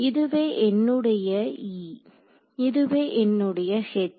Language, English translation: Tamil, So, this is my E this is my H ok